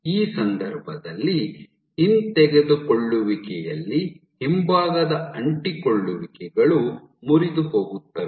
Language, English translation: Kannada, So, in this case in this retraction, rear adhesions are broken